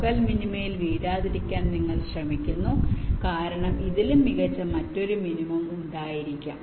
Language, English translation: Malayalam, you try to try to avoid from falling into the local minima because there can be another minimum which is even better